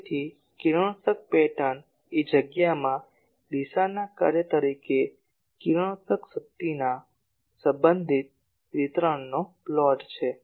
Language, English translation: Gujarati, So, radiation pattern is plot of relative distribution of radiated power as a function of direction in space ok